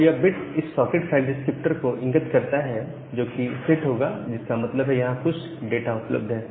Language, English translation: Hindi, So, this particular bit corresponds to this socket file descriptor that will get set; that means, some data is available there